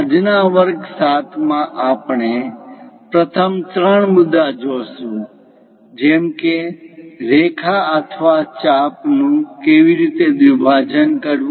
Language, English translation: Gujarati, In today's lecture 7, the first three points like how to bisect a line or an arc